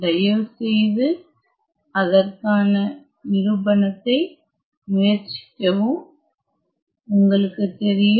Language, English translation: Tamil, So, please try to attempt the proof of this and you know